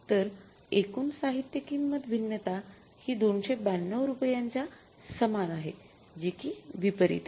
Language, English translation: Marathi, So, net is the total material price variance is equal to rupees 292 adverse